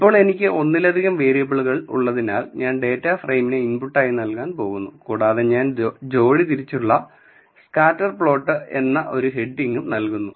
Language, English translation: Malayalam, Now, since I have multiple variable I am going to give the data frame as my input and I am just giving a heading as pair wise scatter plot